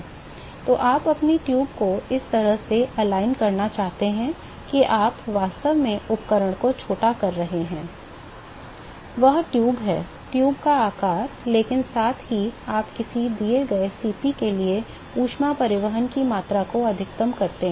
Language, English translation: Hindi, So, you want to align your tube in such a way that you are not, your actually maximize, your minimizing the equipment; that is the tube, size of the tube, but at the same time you maximize the amount of the heat transport for a given Cp